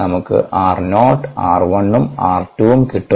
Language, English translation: Malayalam, with that we can get r not, r one and r two